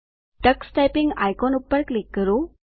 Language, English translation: Gujarati, Click the Tux Typing icon